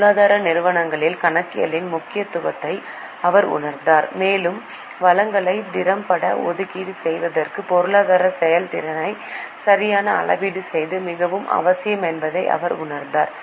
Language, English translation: Tamil, He recognized the importance of accounting in economic enterprises and he realized that proper measurement of economic performance is extremely essential for efficient allocation of resources